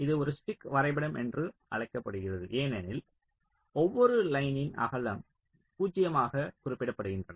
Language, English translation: Tamil, this is called a stick diagram because each line is represented by a line of, ok, zero width